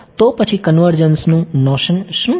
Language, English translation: Gujarati, So, what is convergence